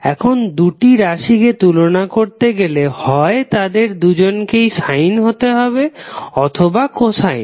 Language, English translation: Bengali, Now in order to compare these two both of them either have to be sine or cosine